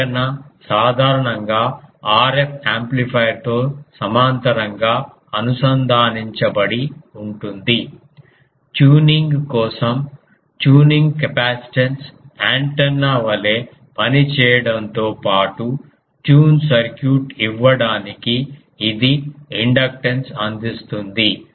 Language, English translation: Telugu, The antenna is usually connected in parallel with RF amplifier tuning capacitance a for tuning; in addition to acting as antenna it furnishes the inductance to give tune circuit